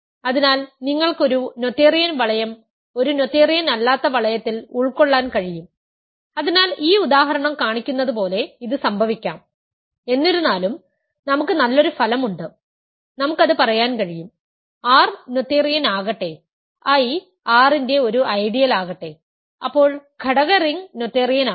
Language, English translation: Malayalam, So, you can have a noetherian ring containing a non noetherian ring, so that can happen as this example shows; however, we do have a nice result nice proposition we can say, let R be noetherian and let I be an ideal of R, then the coefficient ring is noetherian